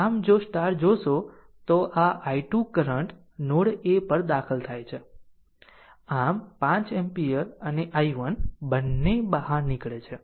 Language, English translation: Gujarati, So, if you look into that, therefore this i 2 current entering at node a, so the and 5 ampere and i 1 both are leaving